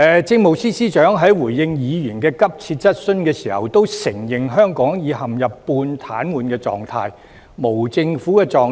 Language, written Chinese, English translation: Cantonese, 政務司司長在回應議員的急切質詢時，承認香港已陷入半癱瘓狀態、無政府狀態。, In his reply to Members urgent question the Chief Secretary for Administration admits that Hong Kong has plunged into a semi - paralysed and anarchic state